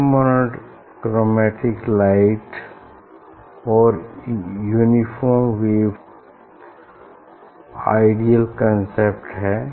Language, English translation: Hindi, this is the ideal concept of monochromatic light and a uniform wave front